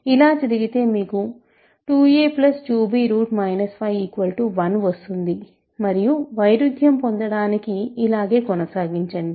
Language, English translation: Telugu, But, if this happens you have 2 a plus 2 b and continue, ok, so you continue like this to get a contradiction